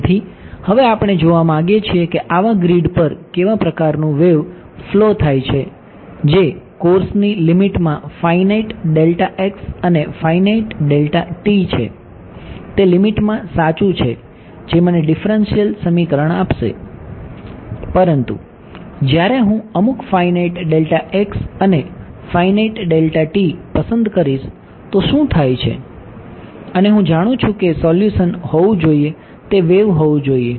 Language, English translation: Gujarati, So, now, we want to see what kind of a wave flows on such a grid which has a finite delta x and a finite delta t in the limit of course, its correct right in the limit it will give me the differential equation, but when I choose some finite delta x and finite delta t what happens ok, and I know what the solution should be right solution should be a wave ok